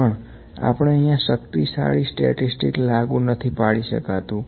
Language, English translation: Gujarati, But we cannot apply very powerful statistical tools here